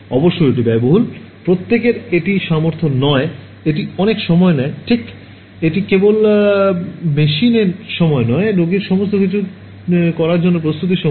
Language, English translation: Bengali, Of course, it is expensive, not everyone can afford it and it takes a lot of time right it is not just the time in the machine, but the preparation time for the patient everything getting it done